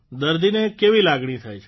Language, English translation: Gujarati, What feeling does the patient get